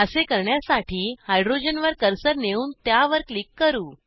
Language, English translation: Marathi, To do so, we will place the cursor on the hydrogen and click on it